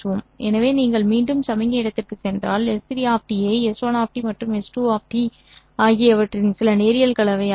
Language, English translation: Tamil, So, if we go back to the signal space, S3 of t can be written as some linear combination of S 1 of t and S2 of t